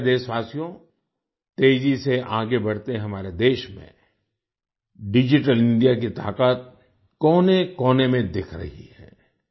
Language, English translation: Hindi, My dear countrymen, in our fast moving country, the power of Digital India is visible in every corner